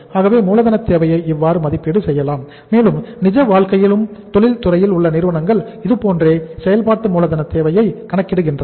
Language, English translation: Tamil, So this is how we assess the working capital requirement and we will be say uh calculating in the real life also the industries the firms in the real life also they also calculate the working capital requirement this way